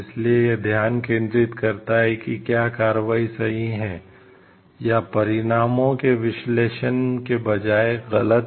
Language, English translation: Hindi, So, it focuses on whether the action is right, or wrong instead of analyzing the consequences